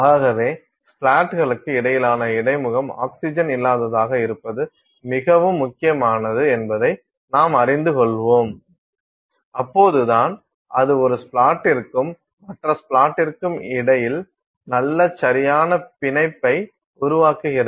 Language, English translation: Tamil, So, we will get to that the in between it is very important that the interface between the splats be oxygen free, only then it forms nice proper bond between one splat and the other splat